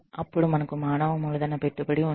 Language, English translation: Telugu, Then, we have, human capital investment